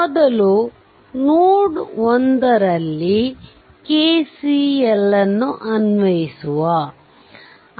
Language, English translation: Kannada, So, first you apply KCL at node 1